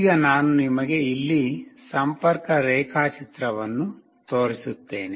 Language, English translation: Kannada, Now, I will just show you the connection diagram here